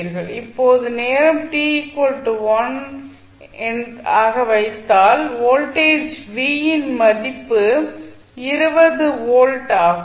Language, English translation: Tamil, Now, time t is equal to 1 you put the value of t as 1 you will get the value of voltage v at t equal to 1 is 20 volts